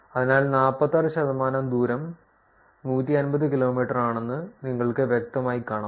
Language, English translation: Malayalam, So, you can clearly see that 46 percent of the distances are 150 kilometers